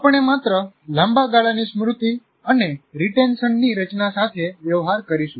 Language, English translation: Gujarati, We will only be dealing with formation of long term memory and retention